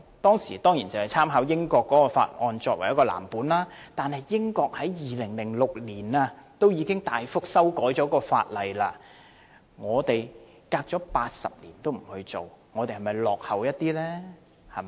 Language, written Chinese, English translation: Cantonese, 該條例當時以英國的法例為藍本，但英國已於2006年對相關法例作大幅修訂，反觀我們事隔80年從未作過任何修訂，是否太落後了？, While the Ordinance was modelled on the then prevailing British legislation such legislation was substantially revised in 2006 . But in Hong Kong no amendment has ever been made to the Ordinance in the past 80 - odd years . Does it mean that we are lagging far behind?